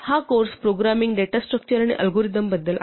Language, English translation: Marathi, This course is about programming, data structures and algorithms